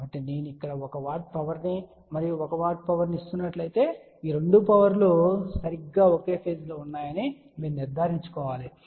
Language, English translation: Telugu, So, let us say if I am giving a 1 watt power here and a 1 watt power here, you have to ensure that these 2 powers are exactly at the same phase